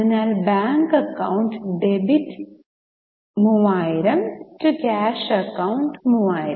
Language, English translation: Malayalam, So, we say bank account debit 3000 to cash account, 3,000